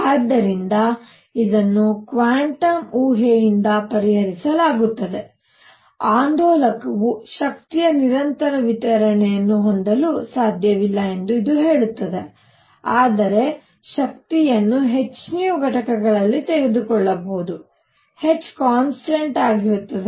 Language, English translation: Kannada, So, this is resolved by quantum hypothesis, it says that an oscillator cannot have continuous distribution of energy, but can take energy in units of h nu; h is some constant